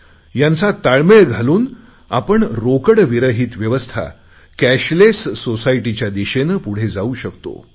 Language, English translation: Marathi, Synchronising these three, we can move ahead towards a cashless society